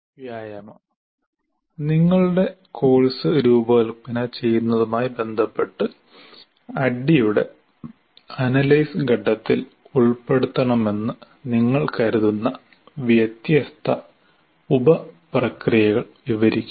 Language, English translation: Malayalam, Describe any different sub processes you consider necessary to include in the analysis phase of ADD with respect to designing your course